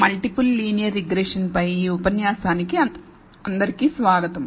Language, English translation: Telugu, Welcome everyone to this lecture on Multiple Linear Regression